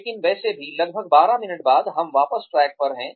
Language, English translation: Hindi, But anyway, so about 12 minutes later, we are back on track